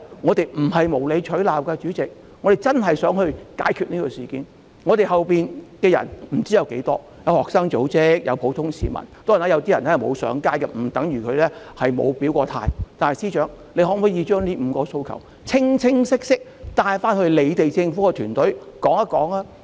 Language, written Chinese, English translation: Cantonese, 我們不是無理取鬧，真的想解決事件，我們後面不知道有多少人，有學生組織、有普通市民，當然，有些人雖然沒有上街，但不等於他們沒有表態，但司長可否把這5項訴求清晰地帶回政府團隊？, We do not know how many people are backing us; there are student organizations and there are ordinary people . Of course some people have not taken to the streets but it does not mean that they have not stated their stand . Having said that can the Chief Secretary relay clearly the five demands to the ruling team in the Government?